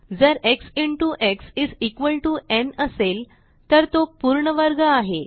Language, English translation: Marathi, If x into x is equal to n, the number is a perfect square